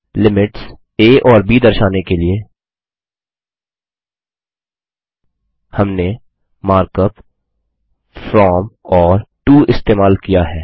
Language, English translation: Hindi, To specify the limits a and b, we have used the mark up from and to